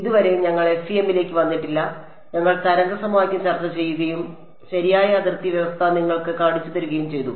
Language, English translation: Malayalam, So far we have not come to the FEM we have just discussed the wave equation and shown you the boundary condition that is required right